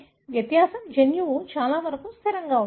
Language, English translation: Telugu, The difference is the genome is, pretty much is static